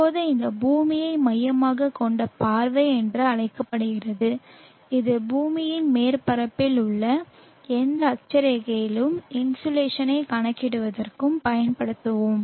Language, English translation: Tamil, Now this is called the earth centering view and this is the view that we will be using for calculating the insulation at any given latitude on the earth surface